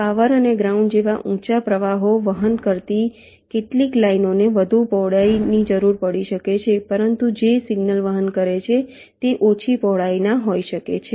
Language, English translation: Gujarati, ok, some of the lines which carry higher currents, like power and ground, they may need to be of greater width, but the ones which are carrying signals, they may be of less width